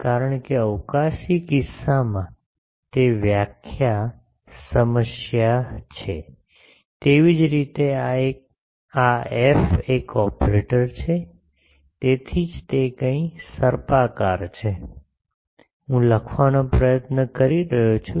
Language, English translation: Gujarati, Because of that definition problem in spatial case the; similarly this F is an operator that is why it is something curly it, I am trying to write